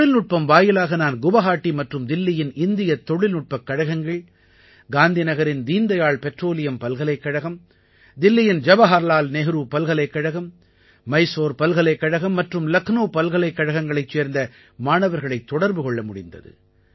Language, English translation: Tamil, Through technology I was able to connect with students of IIT Guwahati, IITDelhi, Deendayal Petroleum University of Gandhinagar, JNU of Delhi, Mysore University and Lucknow University